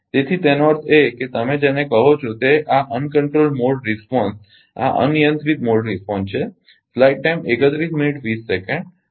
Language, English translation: Gujarati, So, that means, your what you call that this the uncontrolled mode response these are uncontrolled mode response